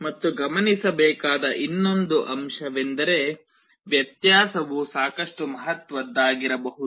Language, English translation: Kannada, And the other point to note is that the difference can be quite significant